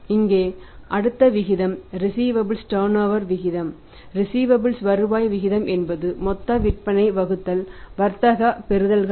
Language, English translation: Tamil, Here next ratio receivables turnover ratio receivables turnover ratio is that gross sales divided by the trade receivables